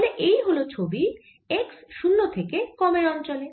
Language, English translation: Bengali, that's the field in the region x greater than zero